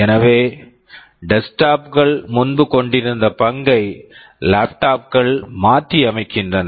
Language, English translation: Tamil, So, laptops are replacing the role that desktops used to have earlier